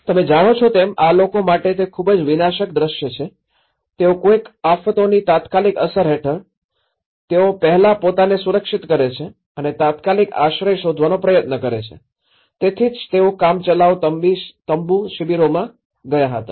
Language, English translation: Gujarati, You know, that is very destructive scene for the people, they somehow under the immediate impact of a disaster, they tend to look for you know, first safeguarding themselves and try to look for an immediate shelter, so that is where they moved to the temporary tent camps